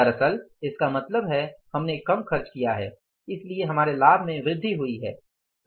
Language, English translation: Hindi, Actually we have, means incur the less cost so our profit is increased